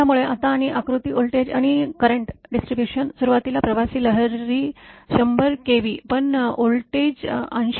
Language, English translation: Marathi, So, now and the diagram voltage and current distribution it initially the traveling wave 100, 100 kV, but voltage 80